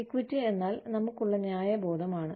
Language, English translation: Malayalam, Equity means, the sense of fairness, that we have